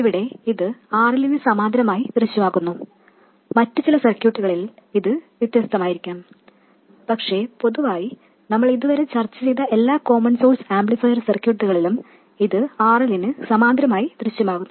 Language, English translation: Malayalam, Here it appears in parallel with RL, in some other circuits it may be different but in all the circuits we have discussed so far in the common source amplifier it appears in parallel with RL